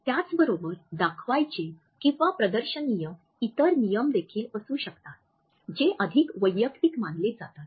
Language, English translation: Marathi, At the same time there may be other display rules which are considered to be more personal